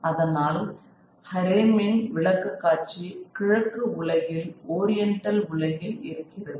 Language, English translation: Tamil, So, this is a presentation of a harem in the eastern world, in the oriental world